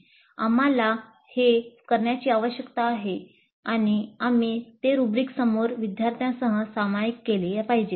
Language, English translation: Marathi, We need to do that and we must share those rubrics upfront with students